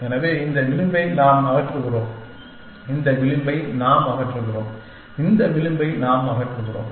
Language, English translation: Tamil, So, this edge we are removing, this edge we are removing and this edge we are removing